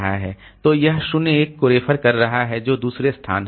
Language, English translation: Hindi, So, it is referring to 01 that is second location